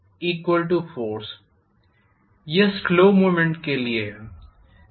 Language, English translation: Hindi, This is for slow movement